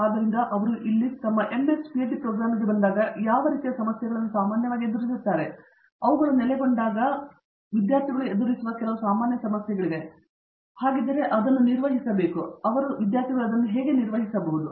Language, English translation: Kannada, So, what sort of issues do they generally face when they come into their MS, PhD program here, are there some general issues that they face as they settled in and if so how would you handle it how they handle it and so on